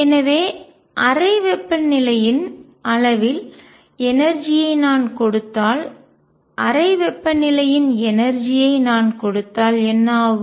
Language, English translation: Tamil, So, what happens is if I give energy of the order of room temperature, and if I give the energy of room temperature